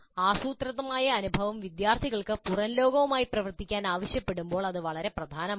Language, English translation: Malayalam, This is particularly important when the planned experience requires the students to work with the outside world